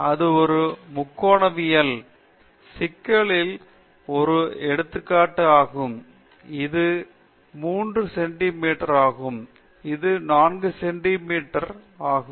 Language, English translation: Tamil, This is also an instance in a trigonometry problem, where this is 3 centimeters, this is 4 centimeters